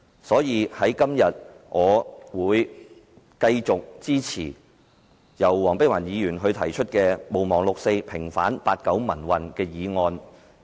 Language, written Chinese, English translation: Cantonese, 因此，我今天會繼續支持黃碧雲議員所提出"毋忘六四，平反八九民運"的議案。, Therefore today I will continue to support Dr Helena WONGs motion urging that the 4 June incident be not forgotten and the 1989 pro - democracy movement be vindicated